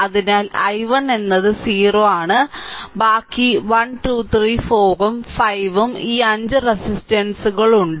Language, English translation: Malayalam, So, i 1 is 0 so, rest is 1 2 3 4 and 5 right the 5 resistors are there